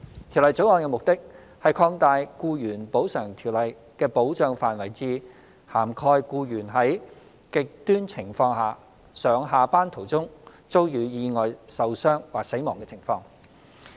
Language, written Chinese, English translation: Cantonese, 《條例草案》的目的是擴大《僱員補償條例》的保障範圍至涵蓋僱員在"極端情況"下上下班途中遭遇意外受傷或死亡的情況。, The Bill seeks to extend the coverage of the Employees Compensation Ordinance ECO to the situation where an employee sustains an injury or dies as a result of an accident when commuting to or from work during the period of extreme conditions